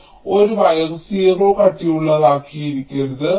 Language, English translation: Malayalam, now, actually, a wire cannot be of zero thickness